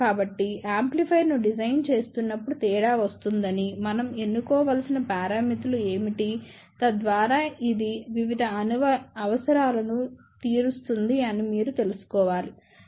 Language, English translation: Telugu, So, this is where the difference comes when you are designing an amplifier you must know, what are the parameters we should choose so that it fulfills different requirements